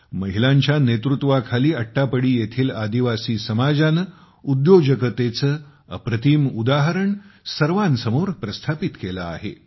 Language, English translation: Marathi, Under the leadership of women, the tribal community of Attappady has displayed a wonderful example of entrepreneurship